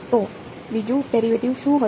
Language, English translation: Gujarati, So, what will be the second derivative